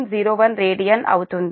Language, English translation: Telugu, all are radian